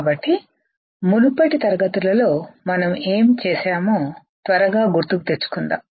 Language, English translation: Telugu, So, let us quickly recall what we have done in the previous classes, right